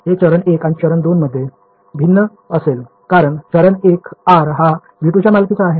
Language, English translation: Marathi, So, it will be different in step 1 and step 2 because in step 1 r is belonging to v 2